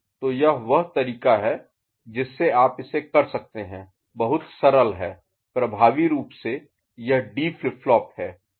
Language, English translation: Hindi, So, that is the way you can do it is very simple right, effectively it becomes a D flip flop right ok